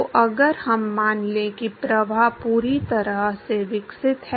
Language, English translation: Hindi, So, if we assume that the flow is fully developed